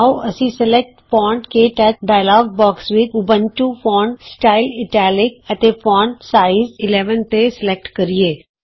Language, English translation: Punjabi, In the Select Font KTouch dialogue box, let us select Ubuntu as the Font, Italic as the Font Style, and 11 as the Size